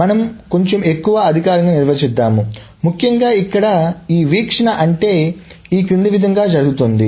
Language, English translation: Telugu, So we will define a little bit more formally what this view means essentially is the following